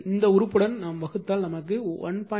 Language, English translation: Tamil, So, divided by this figure that is getting 1